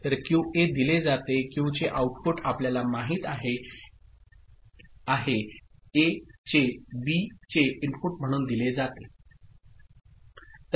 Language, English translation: Marathi, So, QA is fed as output of Q you know A, is fed as input of B right